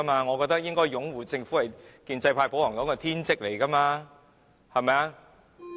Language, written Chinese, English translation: Cantonese, 我覺得擁護政府是建制派、保皇黨的天職。, I consider that it is the duty of the pro - establishment camp the pro - Administration to support the Government